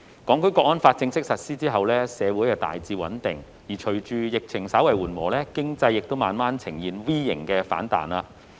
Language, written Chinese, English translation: Cantonese, 《香港國安法》正式實施後，社會大致穩定；而隨着疫情稍為緩和，經濟亦慢慢呈現 V 型反彈。, Since the formal implementation of the National Security Law society is largely stable; with the epidemic becoming slightly mitigated the economy has also gradually showed a V - shaped rebound